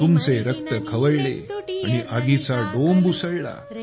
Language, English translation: Marathi, Your blood ignited and fire sprang up